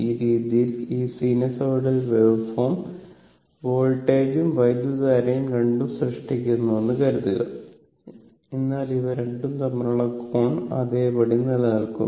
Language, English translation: Malayalam, So, this way suppose this sinusoidal waveform voltage and current both are generated, but angle between these 2 are remain same